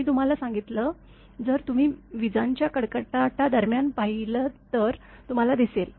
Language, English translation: Marathi, I told you, if you observe during thunderstorm you can see